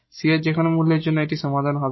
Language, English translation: Bengali, For any value of C, that will be the solution